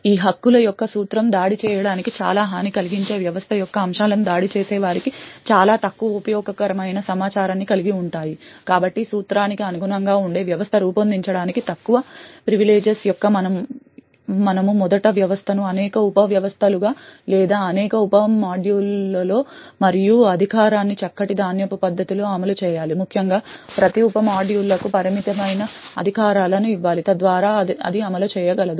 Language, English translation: Telugu, Principle of these privileges is based on the fact that aspects of the system most vulnerable to attack quite often have the least useful information for the attacker, so in order to design a system which complies with the Principle of Least Privileges we should first decompose the system into several sub systems or several sub modules and run privileges in a fine grained manner essentially each of the sub modules should be given just limited amount of privileges so that it can execute